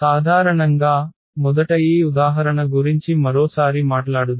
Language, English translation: Telugu, In general, or first let us talk about this example once again